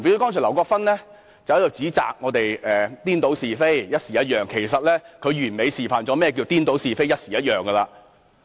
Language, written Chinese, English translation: Cantonese, 例如劉國勳議員剛才指責我們顛倒是非，"搖擺不定"，其實他完美地示範了何謂顛倒是非，"搖擺不定"。, For example Mr LAU Kwok - fan accused us of confounding right and wrong and holding wavering positions . In fact he is a perfect demonstration of confounding right and wrong and wavering positions